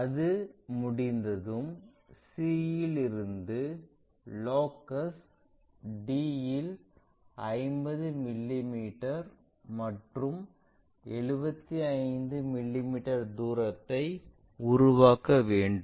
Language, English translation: Tamil, Once that is done, we have to make 50 mm and 75 mm distances on locus d from c